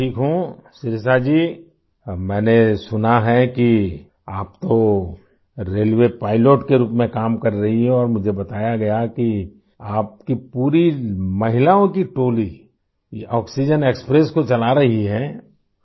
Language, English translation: Urdu, Shirisha ji, I have heard that you are working as a railway pilot and I was told that your entire team of women is running this oxygen express